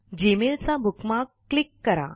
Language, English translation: Marathi, Click on the Gmail bookmark